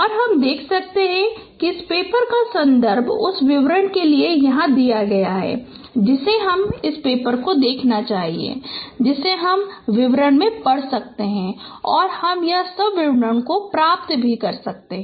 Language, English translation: Hindi, So you can see the reference of this paper is given here for the details you should look at this paper which you which you can know read in details and you can get all this description